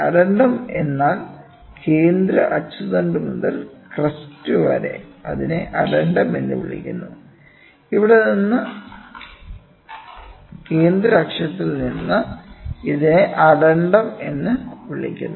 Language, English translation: Malayalam, Addendum means from the central axis to the crest it is called as addendum, from here to here from the central axis to this is called as addendum